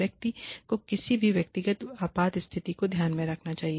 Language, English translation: Hindi, It should take into account, any personal emergencies, the person may have